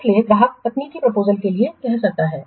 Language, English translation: Hindi, So, the customer may ask for the technical proposals